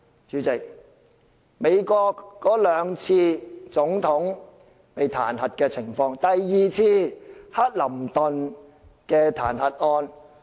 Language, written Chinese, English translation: Cantonese, 主席，美國史上有兩次總統彈劾案，第二次是克林頓的彈劾案。, President in the history of the United States there are two incidents of impeaching the President . The second one involves Bill CLINTON